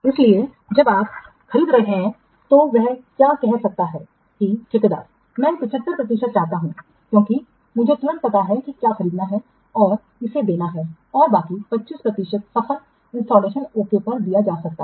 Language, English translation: Hindi, So, while you are purchasing you, the, the, what contractor, he may say that I want 75% because I have to immediately put the, what purchase and give it and the rest 20% may be given on successful installation